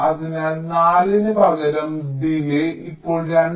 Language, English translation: Malayalam, so instead of four, the delay now becomes two